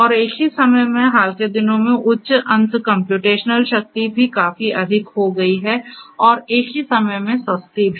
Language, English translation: Hindi, So, it is also available and at the same time, in the recent times, the high end computational power have also become quite high and at the same time cheap